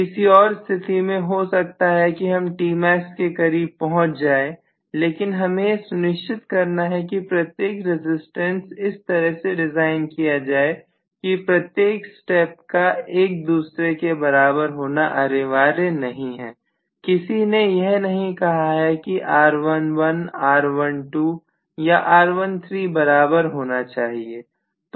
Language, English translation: Hindi, In the next case again, I may have one more which will again come closer to T max, but I have to make sure that every resistance is designed in such a way that every step they need not be equal, nobody said R11 R12 or R13 they all have to be equal, not at all